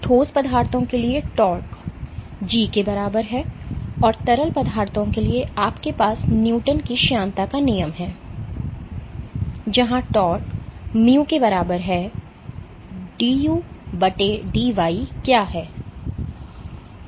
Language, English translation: Hindi, So, tau is equal to G gamma for solids, and for liquids you have Newton’s law of viscosity which is tau is equal to mu into du/dy and what is du dy